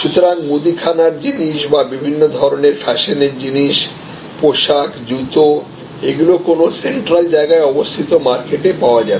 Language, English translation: Bengali, So, whether it are grocery products or various kinds of fashion products, apparels, shoes all these will be available in a central market place